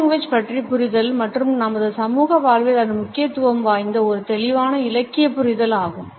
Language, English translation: Tamil, And understanding of the paralanguage and it is significance in our social life has also been a clear literary understanding